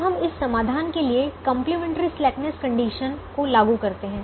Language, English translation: Hindi, now let us apply the complimentary slackness conditions from for this solution